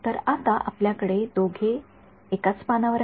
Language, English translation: Marathi, So, now we have them both on the same page